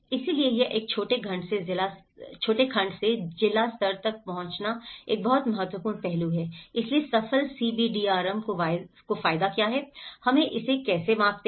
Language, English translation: Hindi, So, this is branching out from a small segment to a district level is a very important aspect, so what are the futures of the successful CBDRM, how do we measure it